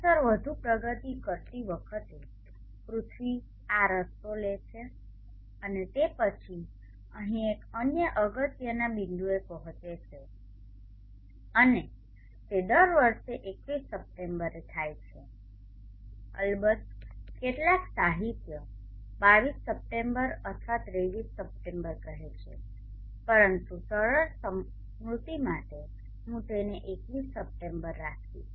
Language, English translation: Gujarati, Progressing further in time the earth take this path and then reaches another important point here and that occurs every year September 21st of course some literature say September 22nd this has September 23rd but for easy remembrance I will keep it at September 21st